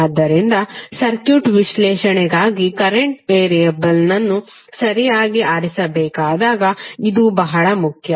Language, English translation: Kannada, So this is very important when you have to choice the current variables for circuit analysis properly